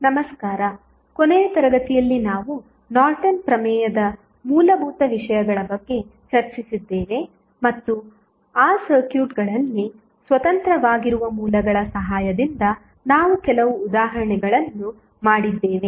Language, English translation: Kannada, So, in the last class we discuss about the basics of Norton's theorem and we did some the examples with the help of the sources which were independent in those circuits